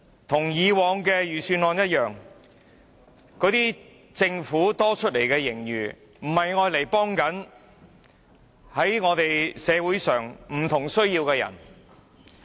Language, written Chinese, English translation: Cantonese, 跟以往的預算案一樣，政府多出來的盈餘不是用作幫助社會上有不同需要的人。, As in the case of previous budgets the surplus of the Government will not be used to help those people with various needs in society